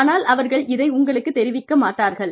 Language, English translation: Tamil, But then, they may not communicate this, to you